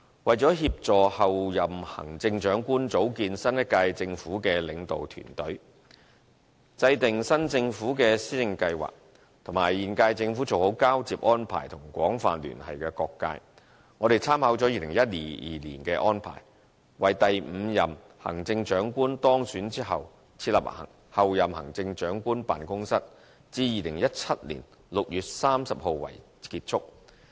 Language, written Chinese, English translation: Cantonese, 為協助候任行政長官組建新一屆政府的領導團隊，制訂新政府的施政計劃，以及與現屆政府做好交接安排和廣泛聯繫的各界，我們參考了2012年的安排，為第五任行政長官當選後設立候任行政長官辦公室，至2017年6月30日為結束。, In order to support the Chief Executive - elect in forming a governing team and preparing for policy plans and to liaise with the incumbent Government for a smooth transition and communicate with different sectors of the community with reference to the arrangement in 2012 the Office of the Chief Executive - elect was formed on the day the fifth - term Chief Executive was elected and will close by 30 June 2017